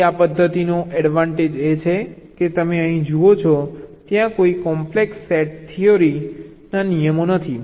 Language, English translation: Gujarati, ok, so the advantage of this method is the you see, here there are no complex, set theoretic rules